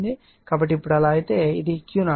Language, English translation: Telugu, So, now if you now so, this is your Q 0 right